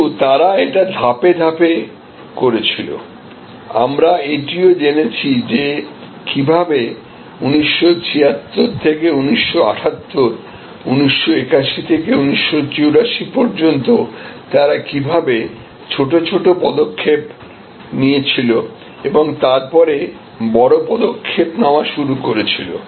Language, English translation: Bengali, But, they did it step by step, we studied that also that how from 1976 to 1978, to 1981 to 1984 how they took short small steps and then started taking longer leaps